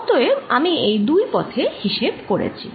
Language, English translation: Bengali, so i have calculated over these two paths